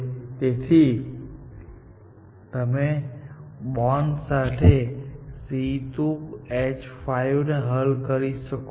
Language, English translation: Gujarati, So, you solved for C2 H5 with a bond